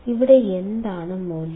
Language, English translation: Malayalam, Here what was the value